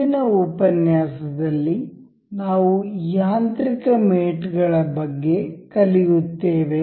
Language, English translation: Kannada, In the next lecture, we will learn about the mechanical mates